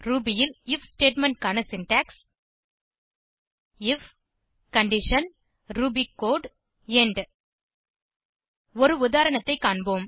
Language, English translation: Tamil, The syntax of the if statement in Ruby is as follows: if condition ruby code end Let us look at an example